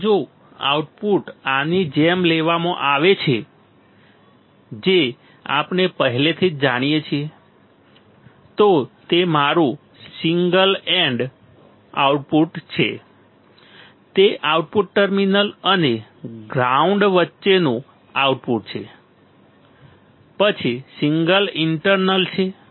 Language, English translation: Gujarati, So, if the output is taken like this which we already know like this right, then it is your single ended output, output between the output terminal and the ground and the ground, then is single internal